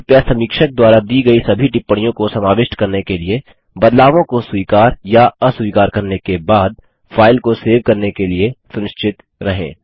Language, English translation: Hindi, Please be sure to save the file after accepting or rejecting changes to incorporate all comments given by the reviewers